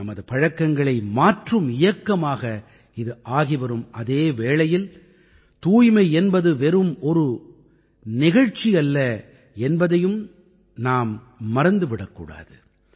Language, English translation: Tamil, And this is also becoming a campaign to change our habits too and we must not forget that this cleanliness is a programme